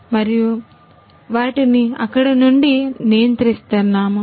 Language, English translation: Telugu, And we control from there